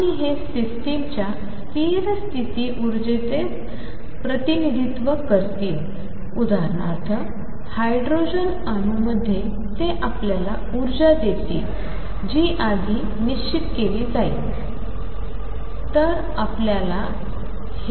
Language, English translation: Marathi, And these will represent the stationary state energy of the system for example, in hydrogen atom they will give you the energy is determined earlier